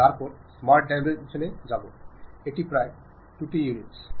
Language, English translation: Bengali, Then go to smart dimension, adjust it to some 20 units